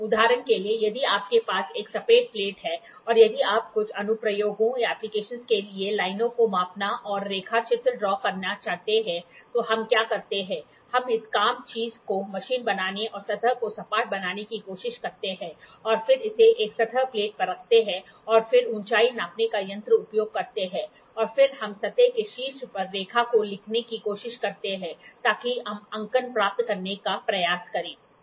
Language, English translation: Hindi, For example, if you have a flat plate and if you want to measure and draw lines for some applications then what we do is we try to machine this work piece and make the surface flat and then keep it on a surface plate and then use the height gauge and then we try to scribe the line on top of the surface, so that we try to get the marking